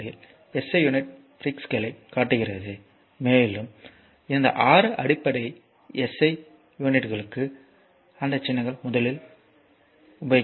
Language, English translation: Tamil, 2 shows SI prefixes and that symbols will come to that first this 6 basic SI units right